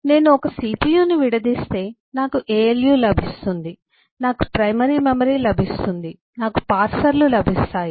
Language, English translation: Telugu, if I break down a cpu alu, I will get eh, primary memory, I will get parsers